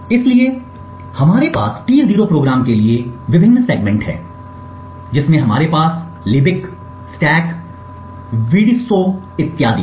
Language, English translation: Hindi, So we have the various segments for the T0 program we have the libc, stack, vdso and so on